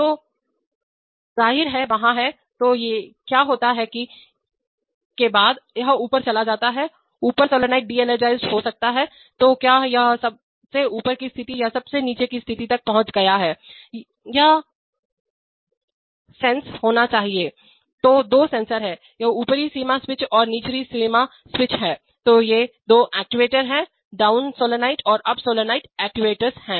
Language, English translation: Hindi, So and obviously after the, there are, so what happens is that the, after the, it goes up the, up solenoid may be de energized, so whether it has reached the topmost position or the down most position, this needs to be sensed, so there are two sensors, this is the upper limit switch and lower limit switch and these are the two actuators, the down solenoid and the up solenoid are the actuators